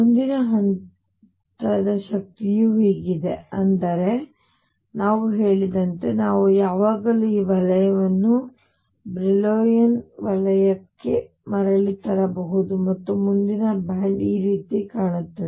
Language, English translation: Kannada, Next level of energy is like this, but as we said we can always bring k back to within this zone Brillouin zone and the next band then would look something like this